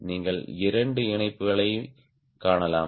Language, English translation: Tamil, you can see the two attachments